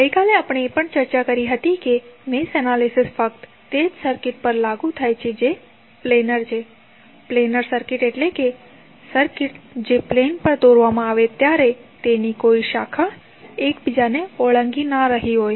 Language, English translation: Gujarati, Yesterday we also discussed that the mesh analysis is only applicable to circuit that is planar, planar means the circuit which can be drawn on a plane and it does not have any branch which are crossing one another